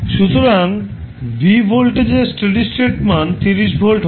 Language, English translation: Bengali, So, you got v at steady state value of voltage v is 30 volts